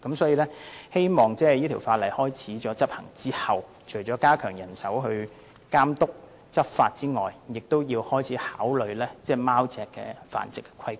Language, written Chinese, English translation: Cantonese, 所以，希望這項修訂規例生效後，政府除了加強人手監督和執法外，亦要開始考慮貓隻的繁殖和規管。, Hence after the commencement of the Amendment Regulation I hope the Government will increase manpower for monitoring and enforcement and start considering the breeding and regulation of cats